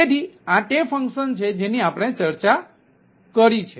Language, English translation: Gujarati, so this is the function, what we have discussed